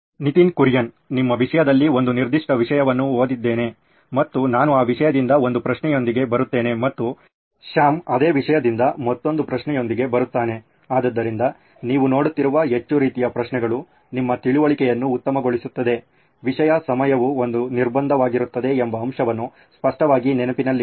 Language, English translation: Kannada, In terms of you read a certain topic and I come up with a question from that topic and Sam comes up with another question from that same topic, so the more kind of questions that you are seeing, the better your understanding of the topic, obviously keeping in mind the fact that the time would be a constraint